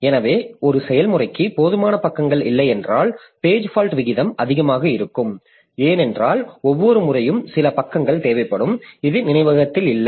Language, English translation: Tamil, So, if a process does not have enough pages, page fault rate will be high because every now and then some page will be required which is not there in the memory